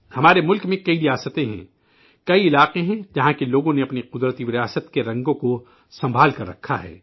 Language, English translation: Urdu, There are many states in our country ; there are many areas where people have preserved the colors of their natural heritage